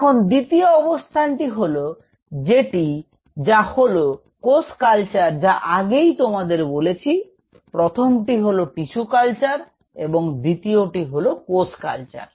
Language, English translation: Bengali, Now second situation what I told you is called cell culture; the first one is tissue culture second one is called cell culture